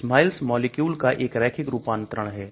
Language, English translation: Hindi, SMILES is a linear representation of the molecule